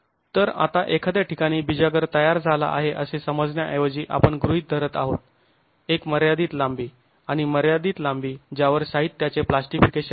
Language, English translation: Marathi, So now instead of assuming that the hinge is forming at the point, we are assuming a finite length and over finite length over which there is plastication of the material